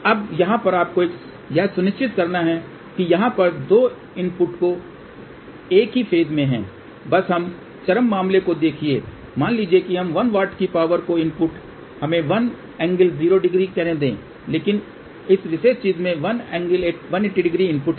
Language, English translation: Hindi, Now, over here you have to ensure that the 2 inputs here are at the same phase, just look at the extreme case here suppose the input of this one watt power is let us say a 1 angle 0, but the input at this thing is 1 angle 180 degree